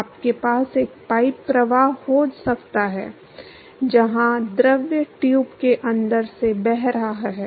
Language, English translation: Hindi, You can have a pipe flow, where the fluid is flowing through the inside the tube